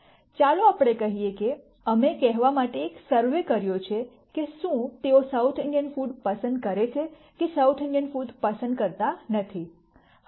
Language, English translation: Gujarati, Let us say we have taken a survey to say whether they like South Indian food or do not like South Indian food